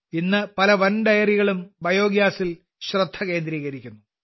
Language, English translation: Malayalam, Today many big dairies are focusing on biogas